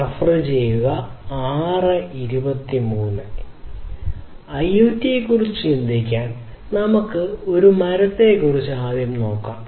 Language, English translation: Malayalam, To think about IoT; let us think about let us you know think about a tree